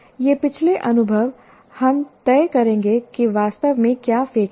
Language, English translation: Hindi, This past experience will decide what exactly is the one that is to be thrown out